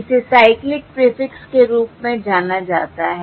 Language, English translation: Hindi, This is known as a cyclic prefix